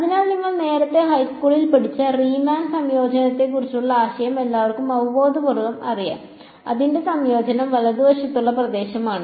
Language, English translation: Malayalam, So, everyone knows intuitively the idea of Riemann integration that you studied earlier in high school probably, its integration is area under the curve right